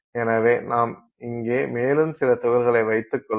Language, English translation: Tamil, Then we will let's say we have some number of particles